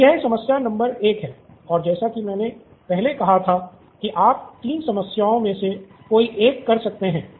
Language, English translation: Hindi, So this is the problem number 1, like I said earlier you can do one of the 3 problems